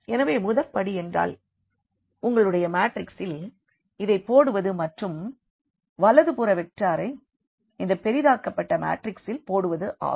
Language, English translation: Tamil, So, the first step was putting into this your matrix and the right hand side vector into this augmented matrix